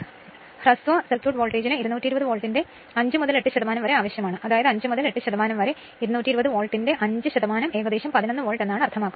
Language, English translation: Malayalam, So, short circuit voltage you need 5 to 8 percent of 220 Volt; that means, your 5 to 8 percent means roughly your 5 percent of 220 Volt means hardly 11 volt